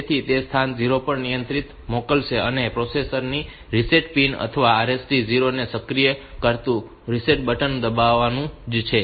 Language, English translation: Gujarati, it will send the control to the location 0 also it is same as pressing the reset button activating the reset pin of the processor or this RST 0